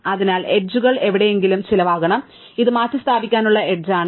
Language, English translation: Malayalam, So, it must cost the boundary somewhere, and this is the edge to replace